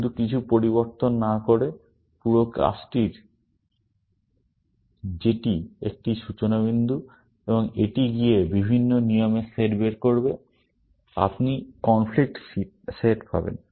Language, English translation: Bengali, Instead of just having a few changes, the whole working that is a starting point, and it will go and figure out different set of rules; you will get the conflict set